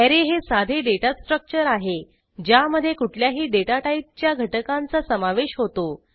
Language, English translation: Marathi, Array is a simple data structure which contains elements of any data type